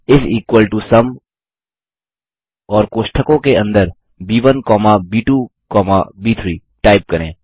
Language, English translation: Hindi, Type is equal to SUM, and within the braces, B1 comma B2 comma B3